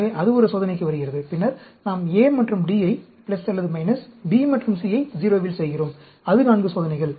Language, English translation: Tamil, So, that comes to one experiment, and then, we do A and D at plus or minus, B and C at 0; that is 4 experiments